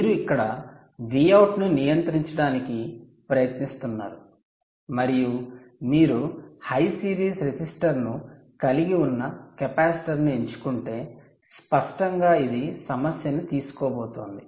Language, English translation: Telugu, you are trying to a regulate a v out here, and if you choose a capacitor which has a high series resistance, obviously this is going to take a problem